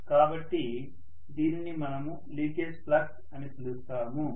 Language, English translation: Telugu, So we will call this as the leakage flux